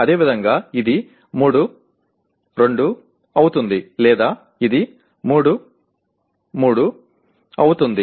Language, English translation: Telugu, Similarly, this will be 3, 2 or this will be 3, 3 and so on okay